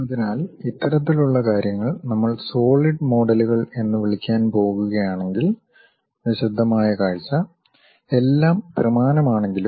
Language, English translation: Malayalam, So, a detailed view if we are going to provide such kind of things what we call solid models; though all are three dimensional